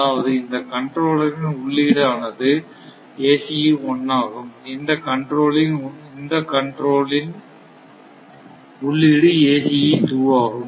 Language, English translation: Tamil, So, that is why the your what you call this input to this your ah your ACE 2 and input to this controller is ACE 1